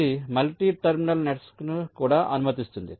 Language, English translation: Telugu, so this allows multi terminal nets also